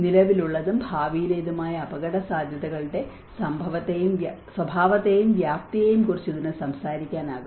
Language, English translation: Malayalam, It can talk about the nature and magnitude of current and future risks